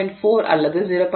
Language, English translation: Tamil, 4 or 0